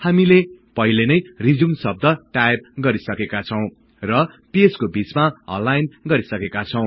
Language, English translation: Nepali, We had previously typed the word RESUME and aligned it to the center of the page